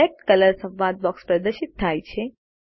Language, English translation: Gujarati, The Select Color dialogue box is displayed